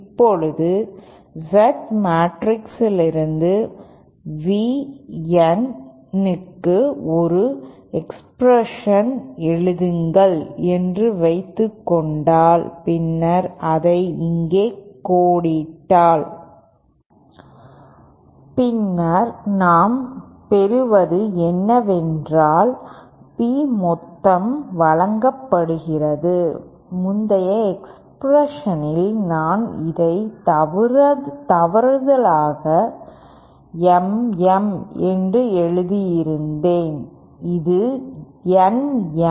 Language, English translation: Tamil, Now if we suppose write an expression for V N like this from the Z matrix then and then if you flag it bag hereÉ Éthen what we get is that the P total is given byÉ in the previous expression I by mistake had written this as Mm, this should be Nm